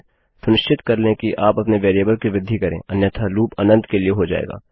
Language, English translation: Hindi, Make sure that you do increment your variable otherwise it will loop for infinity